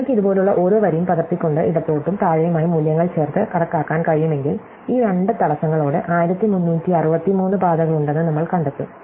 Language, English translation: Malayalam, And if you can just enumerate every row like this by copying, adding up the values to the left and below and we will find, that there are actually 1363 paths with these two obstructions